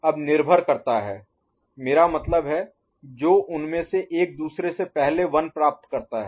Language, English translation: Hindi, Now depends I mean, which one of them gets the 1 before the other